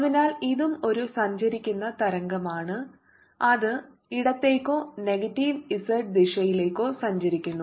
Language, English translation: Malayalam, so this is also a travelling wave which is travelling to the left or to the negative z direction